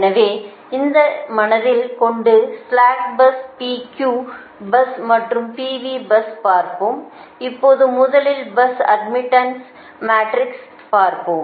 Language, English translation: Tamil, so with this in our mind, slack bus, p q bus and p v bus now will move to see that first the bus admittance matrix, right